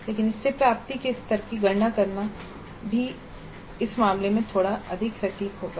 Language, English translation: Hindi, But correspondingly computing the level of attainment would also be a little bit more involved in this case